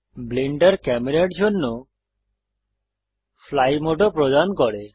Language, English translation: Bengali, Blender also provides a fly mode for the camera